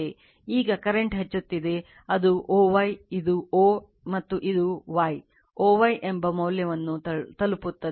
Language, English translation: Kannada, Now, current is increasing, you will reach a value that value that is o y, this is o, and this is your y, o y right